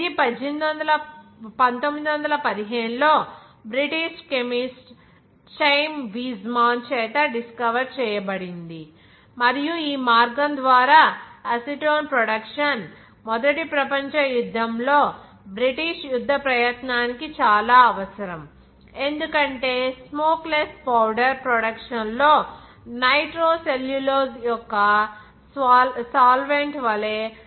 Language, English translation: Telugu, That is discovered in 1915 by the British chemist that is Chaim Weizmann, and the production of that is acetone by this route was essential to that British war effort in first world war because that acetone was required as a solvent of nitrocellulose in the production of smokeless powder